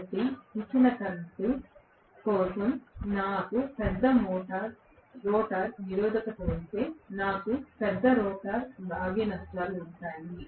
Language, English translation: Telugu, So, if I have a larger rotor resistance for a given current, I will have larger rotor copper losses